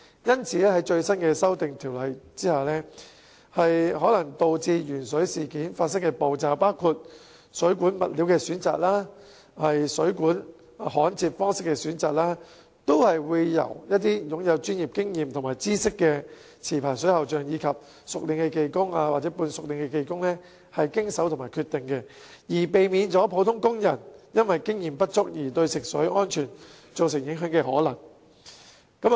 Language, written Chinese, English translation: Cantonese, 因此，在新修訂下，可能導致鉛水事件發生的步驟，包括水管物料及水管焊接方式的選擇，都會交由擁有專業經驗和知識的持牌水喉匠、熟練技工或半熟練技工經手和決定，避免普通工人因經驗不足而對食水安全造成影響的可能。, Therefore under the new amendments licensed plumbers skilled workers or semi - skilled workers who have professional experience and knowledge will be responsible for handling and making decisions on the steps which may lead to the lead - in - water incident including the selection of plumbing materials and the soldering method so as to prevent ordinary workers from jeopardizing the safety of drinking water due to inadequate experience